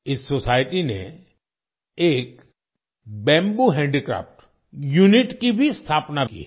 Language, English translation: Hindi, This society has also established a bamboo handicraft unit